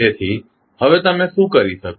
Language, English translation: Gujarati, So, now what you can do